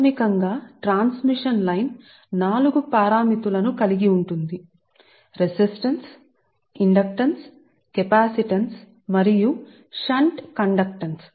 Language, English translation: Telugu, actually we have told three parameters for resistance, ah, inductance capacitance and shunt conductance